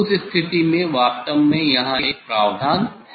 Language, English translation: Hindi, in that case actually there is a provision here